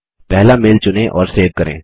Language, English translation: Hindi, Select the mail and double click